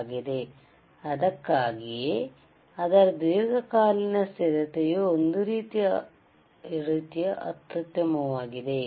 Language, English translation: Kannada, So, that is why, it is long term stability is also kind of excellent,